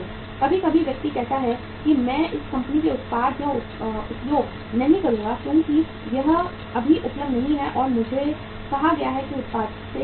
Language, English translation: Hindi, Sometimes the person says I will not use this company’s product because it not available now and I have been say denied the product